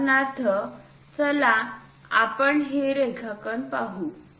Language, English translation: Marathi, For example, let us look at this drawing